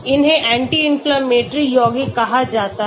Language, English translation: Hindi, These are called anti inflammatory compounds